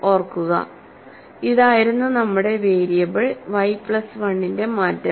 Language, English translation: Malayalam, So, remember, that was our change of variable y plus 1 is X